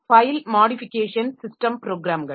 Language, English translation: Tamil, File modification system programs